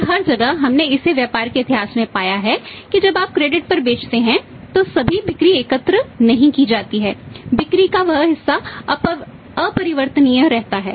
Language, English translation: Hindi, And everywhere we have found it in the business history that when you sell on the credit all the sales are not collected that part of the sales are remain uncollectible